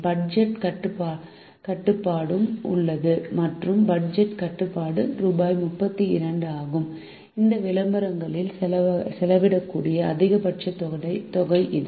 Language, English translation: Tamil, there is also a budget restriction and the budget restriction is rupees thirty two lakhs, which is the maximum amount that can be spent in this advertisements